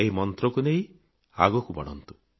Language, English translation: Odia, Make headway with this Mantra